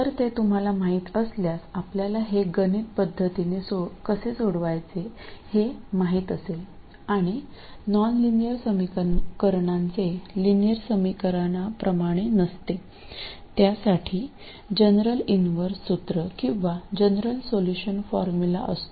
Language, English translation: Marathi, So if you do then you know how to solve this numerically and you know that unlike linear equations there is no general inversion formula or general solution formula for nonlinear equations